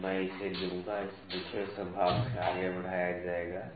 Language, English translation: Hindi, So, I will take it, it will forward from the second division